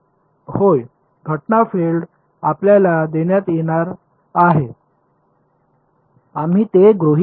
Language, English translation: Marathi, Yeah incident field is going to be given to you we will assume that